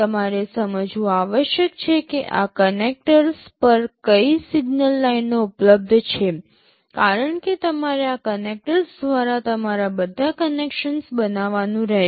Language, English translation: Gujarati, You must understand what signal lines are available over these connectors, because you will have to make all your connections through these connectors